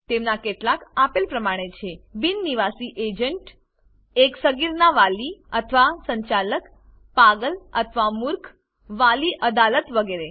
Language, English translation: Gujarati, Some of them are an agent of the non resident, guardian or manager of a minor, lunatic or idiot, Court of Wards etc